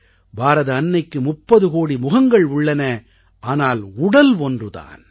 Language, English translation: Tamil, And he said that Mother India has 30 crore faces, but one body